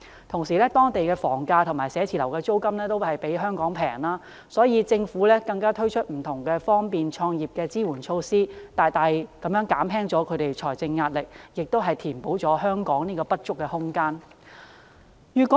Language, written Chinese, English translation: Cantonese, 同時，當地的房價和寫字樓租金也較香港便宜，而且政府更推出不同方便創業的支援措施，大大減輕了他們的財政壓力，亦填補了香港這方面的不足。, Besides the housing price and office rental levels in the Mainland are lower than those of Hong Kong . Together with the various supportive measures introduced by the Government to facilitate start - up businesses their financial pressure has been much alleviated and the shortfall of Hong Kong in this respect can also be rectified